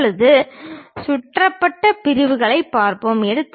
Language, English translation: Tamil, Now, let us look at revolved sections